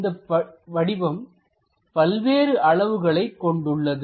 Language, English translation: Tamil, And this object is of different dimensions